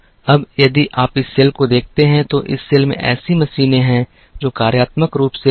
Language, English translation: Hindi, Now, if you look at this cell, this cell has machines which are functionally dissimilar